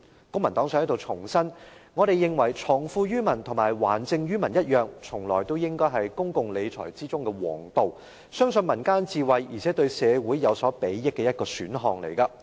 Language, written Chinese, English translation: Cantonese, 公民黨想在這裏重申，我們認為藏富於民和還政於民一樣，從來也應該是公共理財的皇道，是相信民間智慧，而且對社會有所裨益的一個選項。, The Civic Party would like to reiterate here that we always consider leaving wealth with the people and returning power to the people the highest way in public finance management which trusts the peoples wisdom and is an option benefiting the community